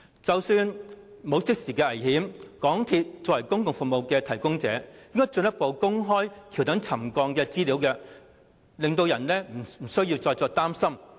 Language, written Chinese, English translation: Cantonese, 即使沒有即時的危險，港鐵公司作為公共服務提供者，應該進一步公開橋躉沉降的資料，令人不需要再擔心。, Even though the subsidence does not pose any immediate danger it is incumbent upon MTRCL as a public service provider to provide us with more details about the pier subsidence so as to remove the worry of the public